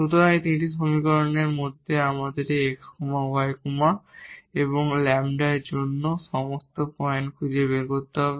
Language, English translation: Bengali, So, out of these 3 equations we have to find all the points meaning this x y and lambda